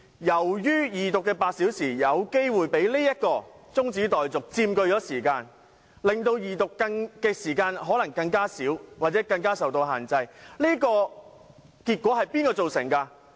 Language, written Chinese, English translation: Cantonese, 由於二讀辯論的8小時有可能被這項中止待續議案佔據部分時間，二讀辯論的時間可能變得更少或更受限制，這結果是誰造成的？, Since part of the eight hours allocated for the Second Reading debate may be occupied by this adjournment motion the Second Reading debate time may become even shorter or be further limited . Who created this result?